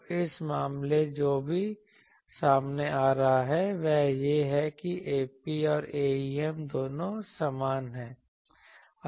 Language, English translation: Hindi, So, what is turns out that in this case both A p and A em are same